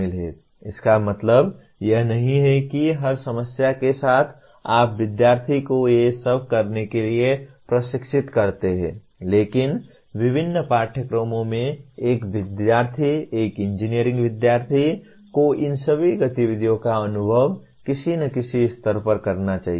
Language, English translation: Hindi, It does not mean that with every problem you train the student to do all these, but in the program through various courses a student, an engineering student should experience all these activities at some stage or the other